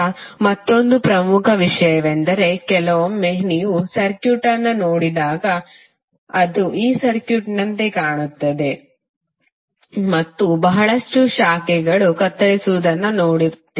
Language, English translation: Kannada, Now, another important thing is that sometimes when you see the circuit it looks like this circuit right and you will see that lot of branches are cutting across